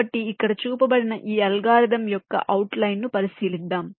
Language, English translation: Telugu, so let us look into the outline of this algorithm which has been shown here